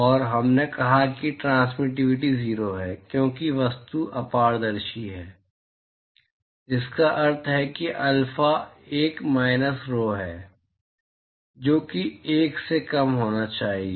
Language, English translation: Hindi, And we said that transmittivity is 0, because the object is opaque, so which means that alpha is 1 minus rho, which has to be less than 1 right